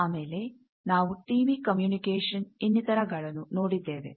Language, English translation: Kannada, Then we have seen TV communication, etcetera